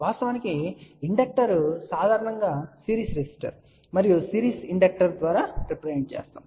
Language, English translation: Telugu, In fact, you might be knowing that an inductor is generally represented by series resistor and series inductor